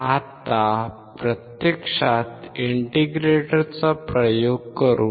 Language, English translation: Marathi, Let us now actually perform the experiment of integrator right